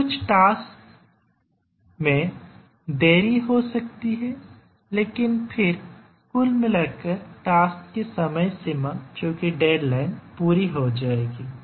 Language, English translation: Hindi, So, some of the tasks may get delayed, but then overall the task deadline will be met